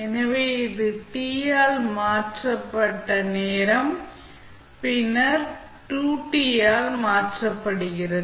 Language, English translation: Tamil, So, this is time shifted by T then time shifted by 2T and so on